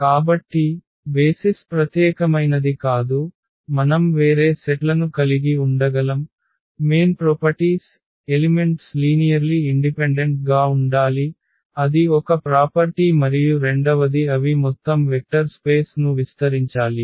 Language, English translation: Telugu, So, basis are not unique we can have a different sets, the main properties are the elements must be linearly independent that is one property and the second one should be that they should span the whole vector space